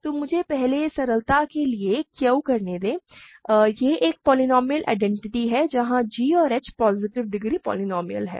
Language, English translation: Hindi, So, let me just first do Q for simplicity, it is a polynomial identity, where g and h are positive degree polynomials